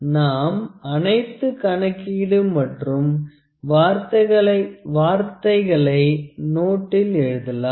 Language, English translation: Tamil, So, we will put all this calculations and word you with the notes